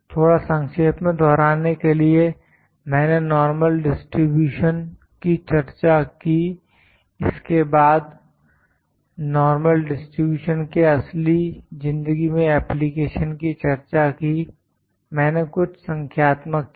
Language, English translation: Hindi, Just to recapitulate I discussed the normal distribution, then about the application of normal distribution in real life, I did some numerical